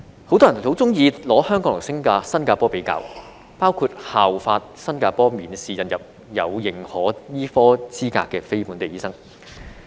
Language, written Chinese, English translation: Cantonese, 很多人很喜歡將香港和新加坡作比較，包括效法新加坡免試引入有認可醫科資格的非本地醫生。, Many people like to compare Hong Kong with Singapore including the practice of the Singaporean government to adopt an examination - free admission system for non - locally trained doctors with recognized medical qualifications